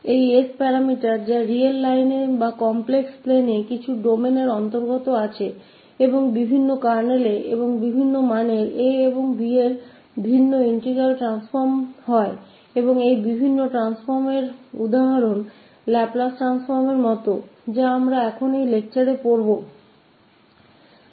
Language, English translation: Hindi, And the parameter this s which belongs to some domain on the real line or in the complex plane and different kernels and different values of a and b leads to a different integral transform and the examples of various transforms are like Laplace Transform, which we will study now in this lecture